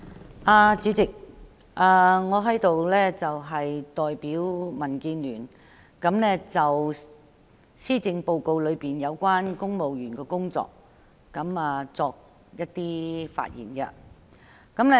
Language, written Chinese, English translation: Cantonese, 代理主席，我代表民建聯就施政報告中有關公務員的工作發言。, Deputy President I speak on behalf of the Democratic Alliance for the Betterment and Progress of Hong Kong DAB on the civil service in the Policy Address